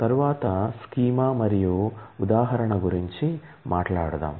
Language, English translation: Telugu, Next, let us talk about schema and instance